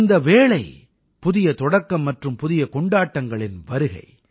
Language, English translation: Tamil, And this time is the beginning of new beginnings and arrival of new Festivals